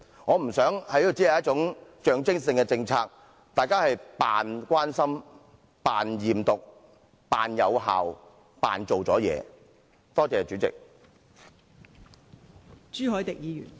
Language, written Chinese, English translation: Cantonese, 我不想這項政策只具象徵性，讓大家繼續假扮關心、假扮驗毒、假扮有成績、假扮已經盡了力。, I do not wish it to become just a symbolic policy under which we can continue to pretend to care pretend to do drug testing pretend to have achieved results and pretend to have exerted our best